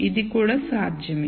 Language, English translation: Telugu, So, this is also possible